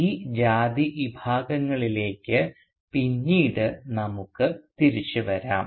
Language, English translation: Malayalam, And we will return to these caste segregations later on in our discussion today